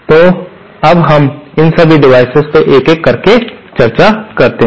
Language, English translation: Hindi, So, let us now discuss one by one all these devices